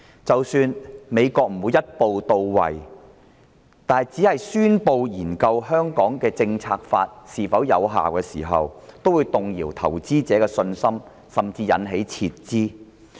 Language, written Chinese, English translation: Cantonese, 即使美國不會一步到位，而只宣布會研究《香港政策法》是否仍然有效，也會動搖投資者的信心，甚至引發撤資。, Even if the United States only announces the commencement of a study on whether the Hong Kong Policy Act should remain in force instead of taking a radical action it will rock investor confidence or even trigger a capital flight . Hence I have this question